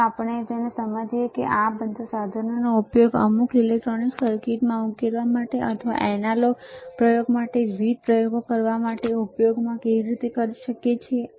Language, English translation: Gujarati, And then we understand that how we can use this all the equipment to solve some electronic circuits or to or to use different experiments to analog experiments, right